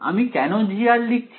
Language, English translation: Bengali, Why I am writing G of r